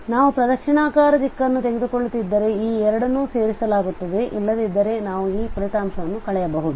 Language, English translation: Kannada, So if we are taking the clockwise direction these two will be added otherwise we can also subtract these results